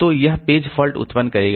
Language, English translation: Hindi, So, these many page faults will be generated